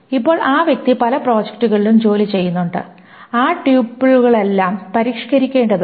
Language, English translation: Malayalam, Now the person is working in many different projects, supposedly, and all of those tuples needs to be modified